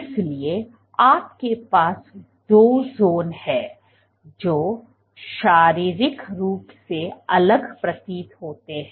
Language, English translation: Hindi, So, you have two zones which seem to be physically distinct